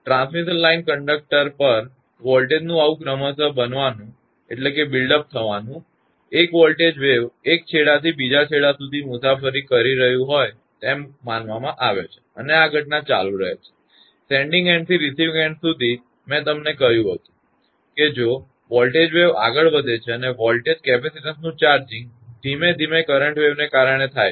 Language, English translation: Gujarati, This gradual build up of voltage over the transmission line conductors, can be regarded as though a voltage wave is travelling from one end to other end and if this phenomena continues, then from the sending end to receiving end I told you, as if a voltage wave is moving and the gradual charging of the voltage capacitance is due to associated current wave